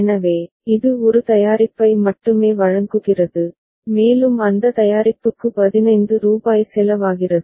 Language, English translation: Tamil, So, it delivers only one product and that product is costing rupees 15 ok